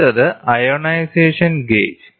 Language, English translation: Malayalam, Next is ionization gauge